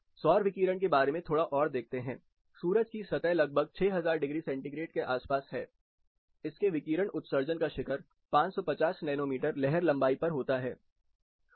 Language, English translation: Hindi, Looking little bit more into the details of the solar radiation itself, the sun’s surface is around 6000 degrees centigrade, peak of its radiation emission occurs at 550 nanometer wave length